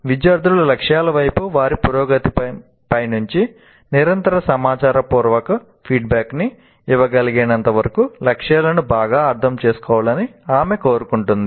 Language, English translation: Telugu, She wants students to understand the goals well enough to be able to give themselves good continuous informative feedback on their progress towards the goals